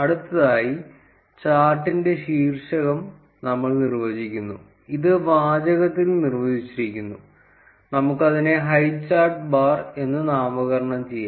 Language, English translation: Malayalam, Next, we define the title of the chart, this is defined in the text, let us write name it as highchart bar